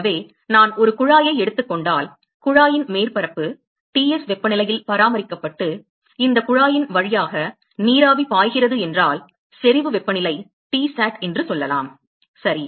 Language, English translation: Tamil, So, suppose if I take a tube and the surface of the tube is maintained at temperature Ts and there is vapor which is flowing through this tube at let us say the saturation temperature Tsat ok